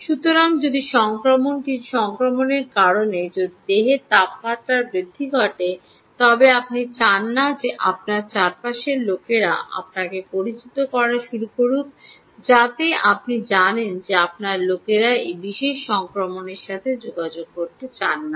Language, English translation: Bengali, so if there is a rise in body temperature due to some infection which is contagious, you dont want people to be a people around you to start you know, having you know, you dont want people to contact that particular infection